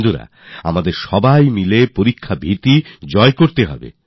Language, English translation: Bengali, Friends, we have to banish the fear of examinations collectively